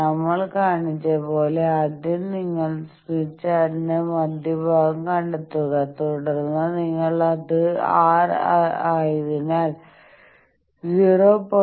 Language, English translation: Malayalam, As we have shown that you first locate the central portion of smith chart and then you see that, since it is R bar is 0